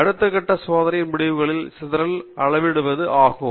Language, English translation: Tamil, Next step is to quantify the scatter in the experimental results